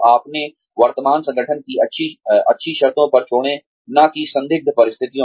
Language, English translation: Hindi, Leave your current organization on good terms, and not under questionable circumstances